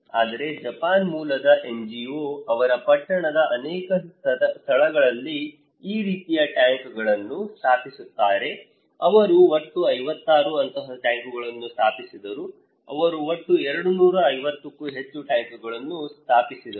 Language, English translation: Kannada, But the people for rainwater one, Japan based NGO, they install this kind of tank in many places in the town they installed 56 such tanks in total they installed more than 250 tanks, okay